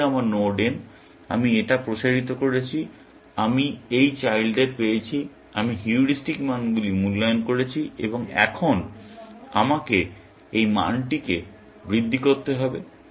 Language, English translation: Bengali, This was my node n; I expanded this; I got these children; I evaluated the heuristic values, and now, I have to propagate this value up